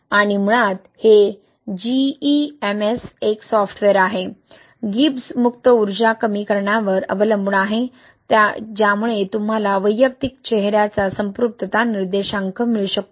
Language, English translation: Marathi, And basically this GEMS is a software, relies on the minimization of Gibbs free energy can give you saturation index of individual face